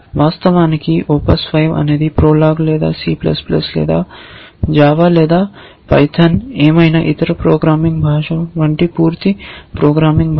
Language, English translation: Telugu, In fact, ops 5 is a complete programming language like any other programming language like prolog or c plus, plus or java or python or whatever